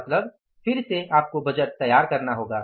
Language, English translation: Hindi, It is again you have to prepare the budget